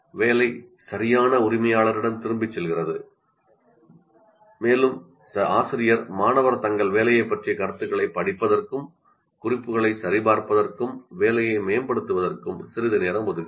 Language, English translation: Tamil, The work goes back to the rightful owner and she leaves a little time for them to read the comments on their work to check the marking and to improve the work